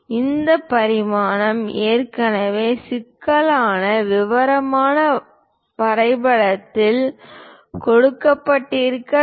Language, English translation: Tamil, This dimension must have been already given in the drawing as intricate detail